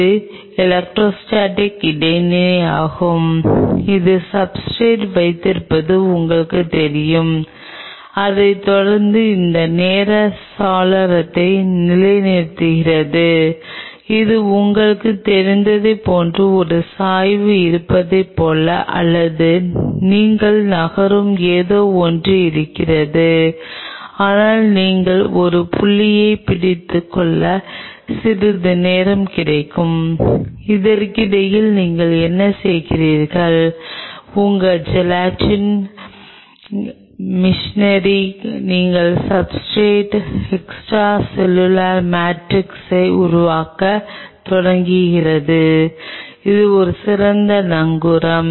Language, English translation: Tamil, This is electrostatic interaction which is kind of you know keeping the substrate and followed by that it gets that time window to settle down, it is like you know get little of a time and like there is a slope or there is something you are moving, but you just get little time to hold on to a point and then in the meantime what you do, you tell your genetic machinery you start producing extracellular matrix at the substrate to get a better anchorage on that